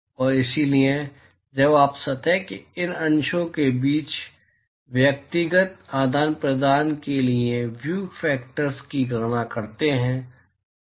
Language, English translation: Hindi, And so, you want to now calculate the view factors for individual exchange between these fraction of the surface